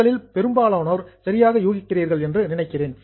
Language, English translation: Tamil, I think most of you are guessing it correctly